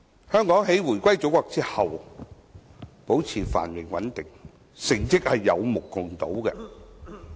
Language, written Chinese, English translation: Cantonese, 香港回歸祖國後保持繁榮穩定，成績有目共睹。, After the return of Hong Kong to the Motherland prosperity and stability have been maintained with spectacular success